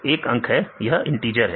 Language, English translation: Hindi, It is a number, it is a integer